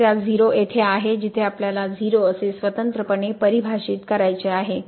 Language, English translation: Marathi, The problem is at 0 where we have to defined separately as 0